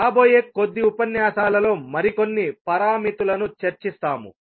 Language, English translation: Telugu, We will discuss few more parameters in the next few lectures